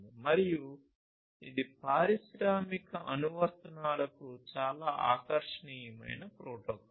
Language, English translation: Telugu, And, you know it is a very attractive protocol for industrial applications ah